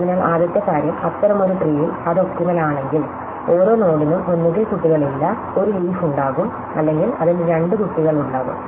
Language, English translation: Malayalam, So, the first thing is that in such a tree, if it is optimal, every node will either have no children will be a leaf or it will have two children